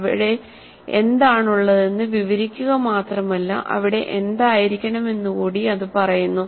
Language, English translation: Malayalam, Just they do not only describe what is there but it tells what should be there